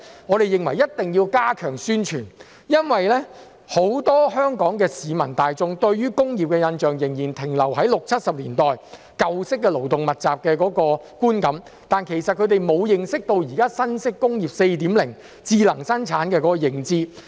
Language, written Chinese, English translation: Cantonese, 我們認為一定要加強宣傳，因為很多香港市民大眾對工業的印象仍然停留在六七十年代那種舊式勞動密集工業的觀感，他們對現時新式"工業 4.0" 智能生產沒有認知。, We think that publicity must be stepped up as many people in Hong Kong still have the impression that industries are referring to the old labour - intensive industries of the 1960s and 1970s and they know nothing about the new Industry 4.0 smart production